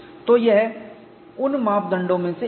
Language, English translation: Hindi, So, this is one of the criterions